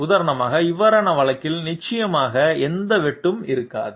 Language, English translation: Tamil, For example, these cases definitely there will not be any intersection